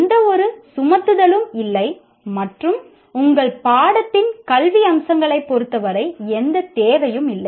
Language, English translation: Tamil, There is no imposition, there is no requirement as far as academic aspects of your course is concerned